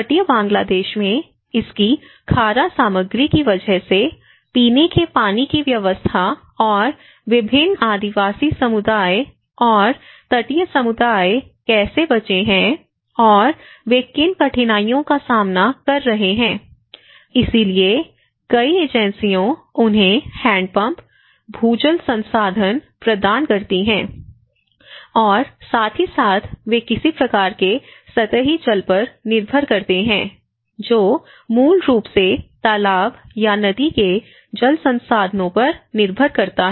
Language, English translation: Hindi, Because especially, in the coastal Bangladesh, the provision of drinking water because of its saline content and how various tribal communities and the coastal communities survive and what are the difficulties they face, so that is where many of the agencies and also different efforts have been kept forward in order to provide them the hand pumps, groundwater resources and as well as some kind of they rely on the surface water which is basically on the pond or river water resources